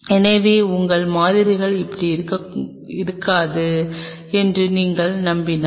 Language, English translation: Tamil, So, if you are confident that your samples will not be like this